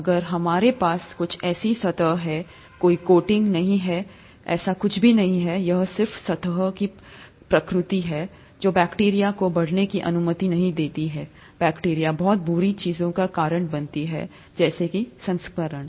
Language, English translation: Hindi, If we have some such surface, there is no coating, nothing like that, it's just the nature of the surface, that does not allow bacteria which causes a lot of bad things as we know, infections, that does not allow bacteria to grow on it's surface